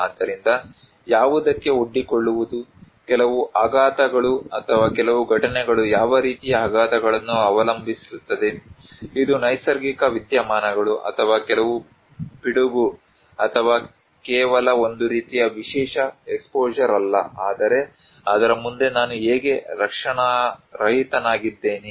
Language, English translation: Kannada, So, exposure to what, some shock or some events like it depends on what kind of shocks, is it natural phenomena or some epidemics or not merely a kind of special exposure but how defenseless like I am for that one